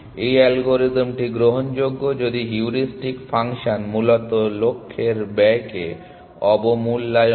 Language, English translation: Bengali, So, the algorithm is admissible if the heuristic function underestimates the cost of the goal essentially